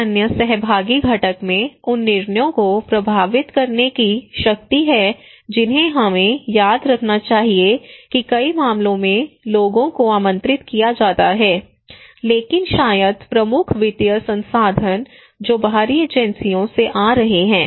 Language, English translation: Hindi, Then another participatory component is the power to influence the decisions we should remember that many cases people are invited, people are engaged, but maybe the financial agency the major financial resources that is coming from the external agencies